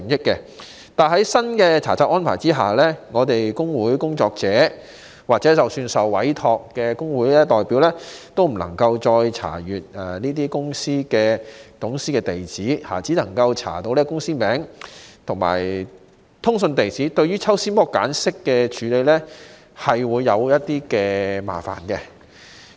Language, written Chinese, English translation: Cantonese, 可是，在新查冊安排下，我們工會工作者或即使是受委託的工會代表，均不能夠再查閱公司董事的地址，只能夠查到公司名字和通訊地址，對抽絲剝繭式的處理個案會有一點麻煩。, However under the new inspection regime of the Register we union workers or even appointed union representatives can no longer be allowed access to the addresses of company directors but only the names and correspondence addresses of companies which may cause problems to our handling of cases as some data needs to be ascertained